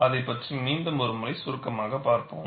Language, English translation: Tamil, We will again have a brief look at that